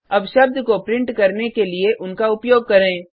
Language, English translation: Hindi, Now let us use them to print the word